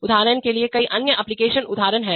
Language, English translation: Hindi, For example, there are many other application example